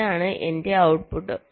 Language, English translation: Malayalam, this is my output